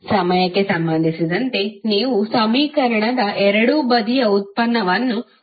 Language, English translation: Kannada, You have to simply take the derivative of both side of the equation with respect of time